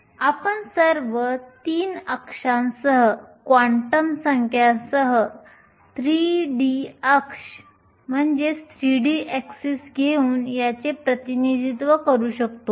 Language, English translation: Marathi, We can represent this by taking a 3 d axis with the quantum numbers along all 3 axis